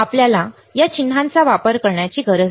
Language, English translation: Marathi, You do not have to use this symbol write like this